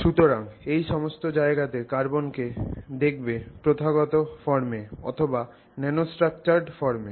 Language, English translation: Bengali, So, many of those places you see carbon materials showing up in different forms including the traditional forms as well as the nanostructured forms